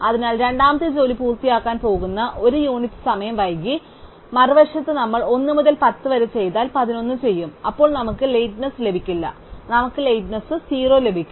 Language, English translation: Malayalam, So, the second job is going to finish 1 unit of time late, on the other hand if we do 1 to 10 then we do 11, then we get no lateness, we get lateness 0